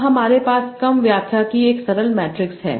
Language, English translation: Hindi, Now we have a simple matrix sort of interpretation